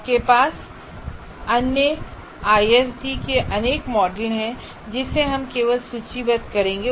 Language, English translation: Hindi, And you have a whole bunch of other ISD models